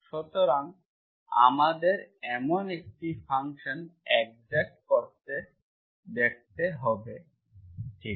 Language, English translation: Bengali, So we have to show such a function exists, okay